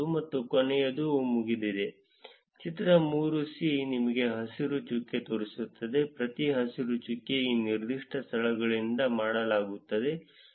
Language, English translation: Kannada, And the last one is dones, the figure 3 shows you green dot, every green dot is a done from that particular locations